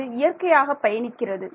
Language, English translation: Tamil, Yeah, it's going to travel